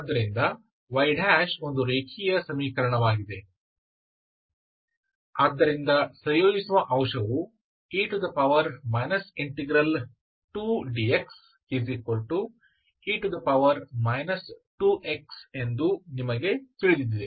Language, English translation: Kannada, So for y – is a linear equation, so you know that integrating factor is e power integral p, p is here 2 dx